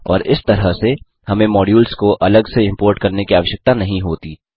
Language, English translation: Hindi, And thus we dont have to explicitly import modules